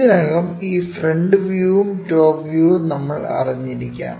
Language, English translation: Malayalam, Already, we might be knowing this front view and top few things